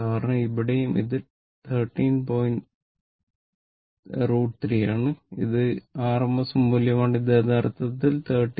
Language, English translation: Malayalam, Because here also it is 13 point root 3 and it is rms value your it is rms value actually 13